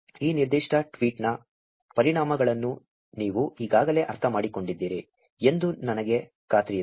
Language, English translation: Kannada, I am sure you already understand the implications of this specific tweet